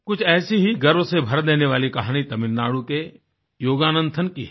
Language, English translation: Hindi, Somewhat similar is the story of Yogananthan of Tamil Nadu which fills you with great pride